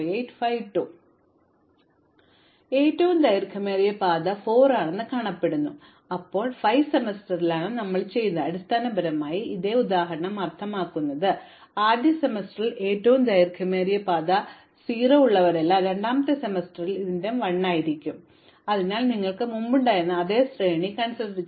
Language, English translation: Malayalam, So, what this has said is the longest path is 4, now we said that it will be done in 5 semesters, this same example which basically means that in the first semester all those whose longest path is 0, in the second semester all those whose longest path is 1 and so we have the same sequence you had before